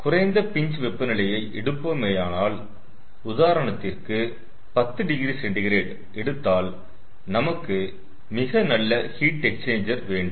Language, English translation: Tamil, so if we go for a low pinch temperature let say we go for ten degree celsius then we have to have very good heat exchangers and ah